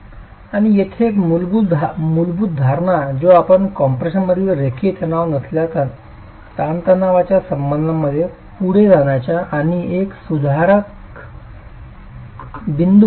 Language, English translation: Marathi, And a fundamental assumption here which can become a point that you take forward and improve with a nonlinear stress strain relationship in compression